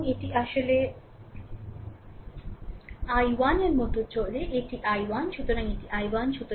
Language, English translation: Bengali, And this actually i 1 goes like these this is i 1, so this is i 1 right